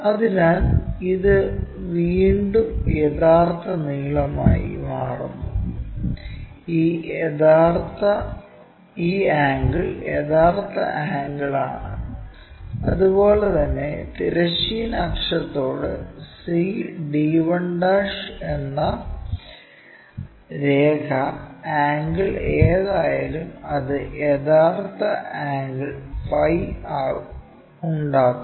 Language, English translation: Malayalam, So, this again becomes true length and this angle is the true angle similarly the line c d 1' with horizontal axis whatever angle its making true angle phi we will find